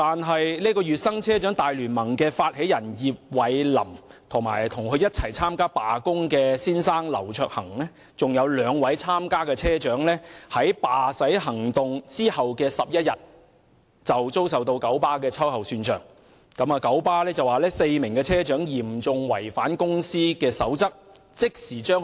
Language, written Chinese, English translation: Cantonese, 可是，聯盟發起人葉蔚琳、與她一同參與罷駛的丈夫劉卓恆，以及另外兩名參與的車長，卻在罷駛行動的11天後，遭九巴秋後算帳，九巴指4名車長嚴重違反公司守則，即時解僱他們。, However YIP Wai - lam founder of the Alliance and her husband LAU Cheuk - hang who joined her in the strike as well as two other participating bus drivers were subjected to reprisal by KMB 11 days after the strike . KMB alleged that the four bus drivers had seriously violated the companys rules and dismissed them summarily